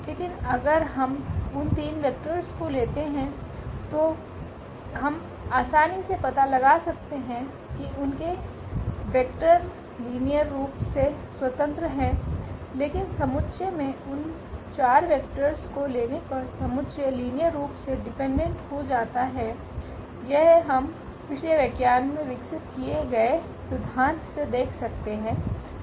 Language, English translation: Hindi, And but if we take those 3 vectors we can easily figure out their those vectors are linearly independent, but having those 4 vectors in the set the set becomes linearly dependent, that also we can observe with the theory we have already developed in previous lectures